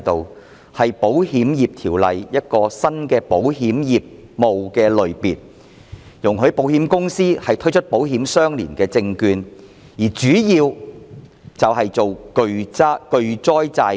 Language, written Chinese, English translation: Cantonese, 這是《保險業條例》下的新保險業務類別，容許保險公司發行保險相連證券，特別是巨災債券。, This is a new category of insurance business under the Insurance Ordinance which allows insurance companies to issue ILS in particular the issuance of catastrophe bonds